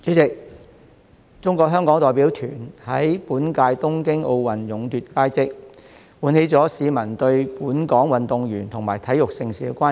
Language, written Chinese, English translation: Cantonese, 代理主席，中國香港代表團於本屆東京奧運勇奪佳績，喚起市民對本港運動員及體育盛事的關注。, Deputy President the Hong Kong China delegation achieved outstanding results in the Tokyo 2020 Olympic Games arousing the publics concern about Hong Kongs athletes and major sports events